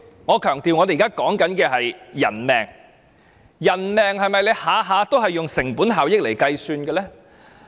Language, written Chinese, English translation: Cantonese, 我強調，我們現時所說的是人命，人命是否每次都以成本效益來計算呢？, I must stress that we are talking about human lives here . Must we assess a life by cost - effectiveness?